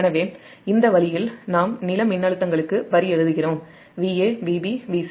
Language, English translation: Tamil, so this way we write line to ground voltages: v a, v, b, v c